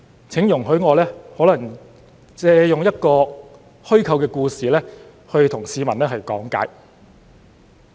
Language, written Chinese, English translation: Cantonese, 請容許我借用一個虛構故事來向市民講解。, Please allow me to tell a fictional story to explain the case to the public